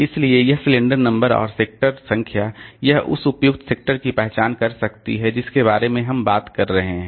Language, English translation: Hindi, So, the cylinder number and track number, sorry, sector number, it can identify the appropriate sector that we are talking about